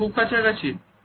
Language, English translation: Bengali, Is it is too close